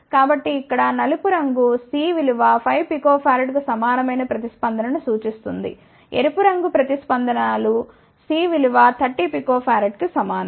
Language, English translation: Telugu, So, black colour here is the response for C equal to 5 picofarad red colour responses for C equal to 30 picofarad